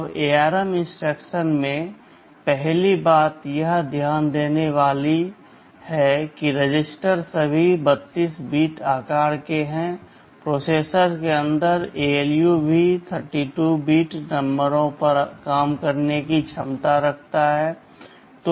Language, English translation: Hindi, Now, in the ARM instruction set the first thing to notice that the registers are all 32 bit in size, the ALU inside the processor also has the capability of operating on 32 bit numbers